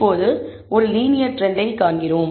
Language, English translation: Tamil, Now, we see a linear trend